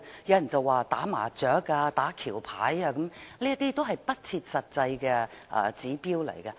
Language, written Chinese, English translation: Cantonese, 有人說打麻將、打橋牌，這些都是不切實際的指標。, Some people say playing mah - jong or bridge makes you middle - class . But this is an unrealistic indicator